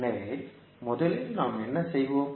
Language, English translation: Tamil, So, first what we will do